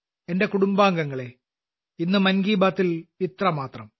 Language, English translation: Malayalam, My family members, that's all today in Mann Ki Baat